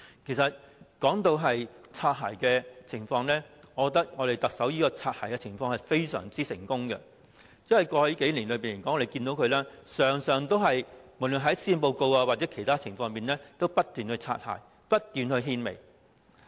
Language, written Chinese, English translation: Cantonese, 其實，說到"擦鞋"的情況，我覺得特首在"擦鞋"方面非常成功，因為在過去數年，大家可以看到，無論在施政報告或其他事情上，他經常"擦鞋"，不斷獻媚。, Actually speaking of bootlicking I consider the Chief Executive very successful in bootlicking because in the past few years we could see that be it in the Policy Address or other matters he kept bootlicking and sucking up